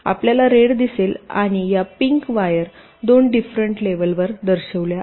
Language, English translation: Marathi, you see red and this pink wires are shown on two different layers